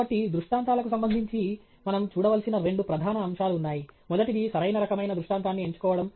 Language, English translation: Telugu, So, with respect to illustrations, there are two major aspects that we need to look at the first is choosing the right type of illustration okay